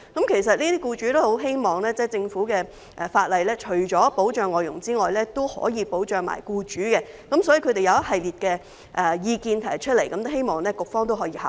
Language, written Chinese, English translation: Cantonese, 其實，這些僱主均希望政府除了立法保障外傭外，亦可以保障僱主，所以他們提出一系列意見，希望局方可以考慮。, In fact these employers hope that the Government apart from legislating to protect FDHs can also protect employers . For this reason they have put forward a range of views in the hope that the Bureau will take them into consideration